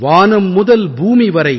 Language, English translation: Tamil, From the earth to the sky,